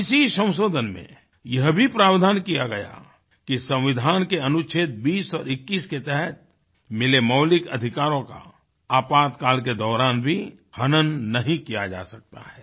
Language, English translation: Hindi, This amendment, restored certain powers of Supreme Court and declared that the fundamental rights granted under Article 20 and 21 of the Constitution could not be abrogated during the Emergency